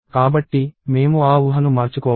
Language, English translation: Telugu, So, I have to change that assumption